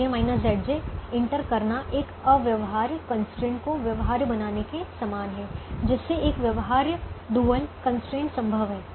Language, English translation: Hindi, so entering a positive c j minus z j is the same as making an infeasible constraint feasible, making an infeasible dual constraint feasible